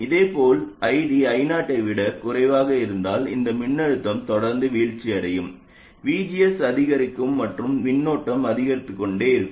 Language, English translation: Tamil, Similarly, if ID is less than I 0, this voltage will keep on falling, VGS will go on increasing and the current will go on increasing